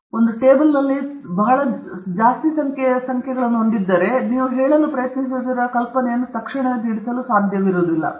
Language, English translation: Kannada, So, if you have lot of different numbers in a table, sometimes that does not immediately convey the idea that you are trying to say